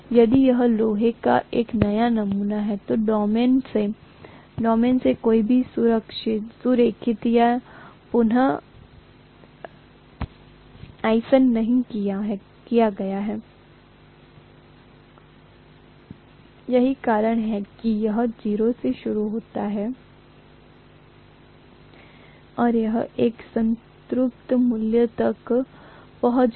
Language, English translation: Hindi, If it is a new sample of iron none of the domains have been aligned or realigned, that is why it started from 0 and it reached a saturation value